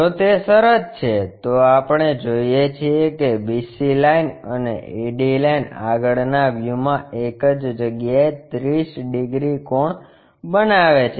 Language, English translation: Gujarati, If that is the case, we see BC line, AD line coincides making an angle 30 degrees in the front view